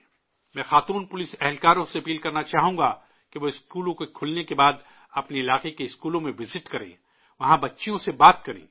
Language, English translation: Urdu, I would like to request the women police personnel to visit the schools in their areas once the schools open and talk to the girls there